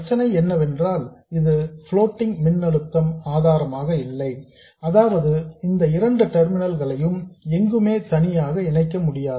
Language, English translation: Tamil, The only problem is that it is not a floating voltage source, that is these two terminals cannot be independently connected somewhere